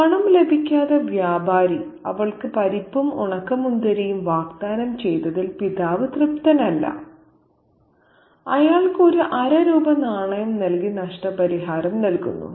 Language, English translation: Malayalam, So, the father is not satisfied, is not happy with the fact that the trader offers her nuts and raisins without getting the money for it and he compensates that by giving him a half a rupee coin